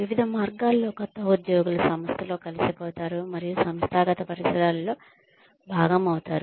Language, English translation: Telugu, Various ways in which, new employees are integrated, into the organization, and made a part of the organizational milieu